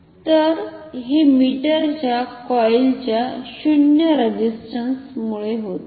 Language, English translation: Marathi, So, this is due to the non zero resistance of the coil of the meter ok